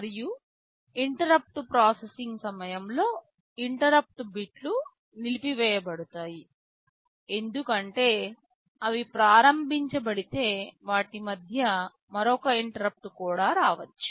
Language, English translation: Telugu, And during interrupt processing, the interrupt bits will be disabled because if they are enabled then another interrupt may come in between also